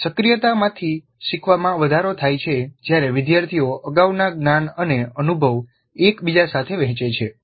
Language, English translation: Gujarati, Learning from activation is enhanced when learners share previous knowledge and experience with one another